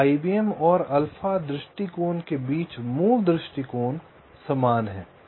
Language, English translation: Hindi, so the basic approach between i, b, m and alpha approach are similar